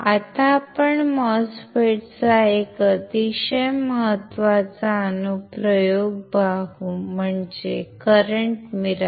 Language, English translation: Marathi, So, let us see a very important application of the MOSFET